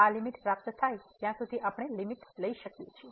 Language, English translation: Gujarati, We can take the limit till the time we achieve this limit